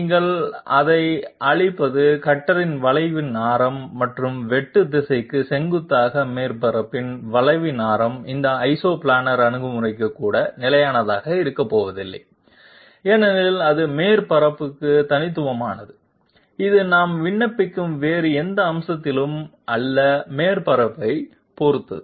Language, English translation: Tamil, The what you call it the radius of curvature of the cutter and the radius of the curvature of the surface perpendicular to the direction of cut that is not going to be constant for even this Isoplanar approach because that is unique to the surface, it depends on the surface not on any other aspect that we are applying